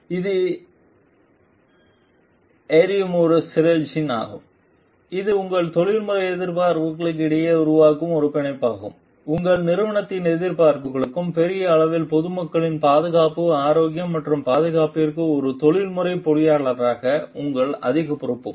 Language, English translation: Tamil, And it is a synergy which burns which is a bond which develops between your professional expectations your organizations expectations and your greater responsibility as a professional engineer to the safety health and security of the public at large